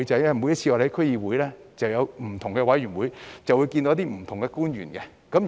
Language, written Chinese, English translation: Cantonese, 因為區議會之下設有不同的委員會，會與不同的官員會面。, Because the various committees formed under DCs will have meetings with different government officials